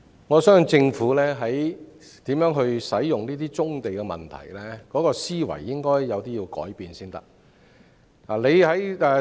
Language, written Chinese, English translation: Cantonese, 我相信政府在如何使用棕地的問題上，應有思維上的改變。, I think there should be a change in the Governments thinking as far as the use of brownfield sites is concerned